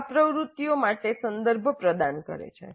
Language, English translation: Gujarati, This provides the context for the activities